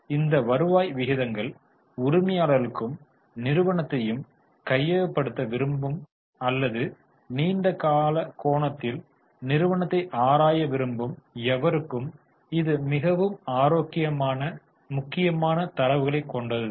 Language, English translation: Tamil, So, these return ratios are very important for owners as well as for anybody who wanting to take over the company or who wants to study the company from a long term angle